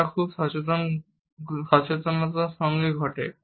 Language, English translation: Bengali, They occur with very little awareness